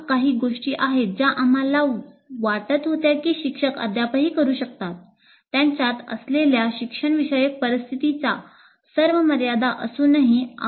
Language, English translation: Marathi, Okay, these are a few things that we felt teachers can still do in spite of all the limited limitations of the instructional situation they are in